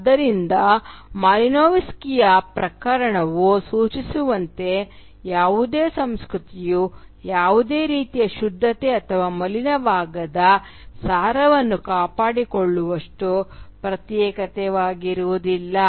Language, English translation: Kannada, So as Malinowski’s case suggests, no culture is isolated enough to maintain any sort of purity or uncontaminated essence that remains static over time